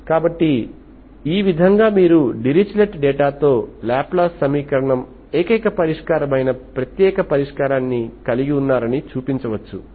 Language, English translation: Telugu, So in this way you can actually show that Laplace equation with the Dirichlet data is having only one solution, that is unique solution